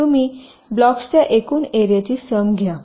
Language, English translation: Marathi, so you take the sum total of the areas of the blocks, so you get the areas of the blocks